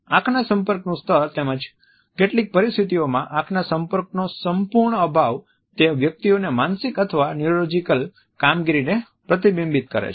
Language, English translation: Gujarati, The level of eye contact as well as in some situations and absolute lack of eye contact reflects the persons psychiatric or neurological functioning